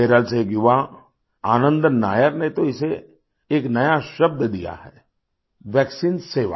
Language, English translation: Hindi, A youth Anandan Nair from Kerala in fact has given a new term to this 'Vaccine service'